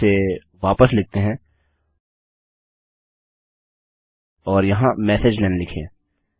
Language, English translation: Hindi, lets put that back and here you can say messagelen